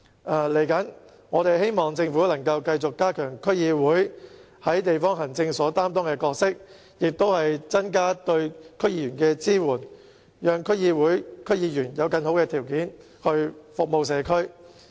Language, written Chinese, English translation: Cantonese, 未來，我們希望政府能夠繼續加強區議會在地方行政方面擔當的角色，增加對區議員的支援，讓區議會及區議員有更好的條件來服務社區。, We hope that in the future the Government can continue to strengthen the role played by DCs in district administration and enhnace the support for DC members so that DCs and their members can have better means to serve the local communities